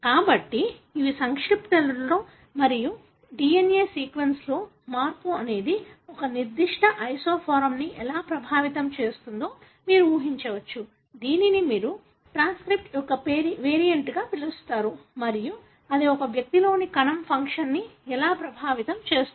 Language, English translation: Telugu, So, these are the complexities and you can imagine how a change in the DNA sequence can affect a particular isoform, which you call as a variant of the transcript and how that could affect the cell function in an individual